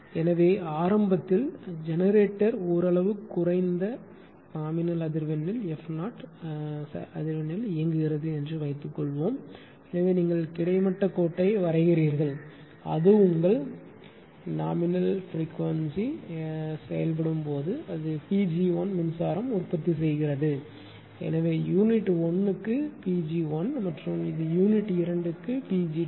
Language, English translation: Tamil, So, initially suppose initially the generator it was operating at a nominal frequency f 0 right frequency; so you draw horizontal line this thing therefore, when it is operating a your ah at nominal frequency f 0 at that time it was generating power P g 1 this unit 1 generating power P g 1 at the same time this unit 2 or generating power P g 2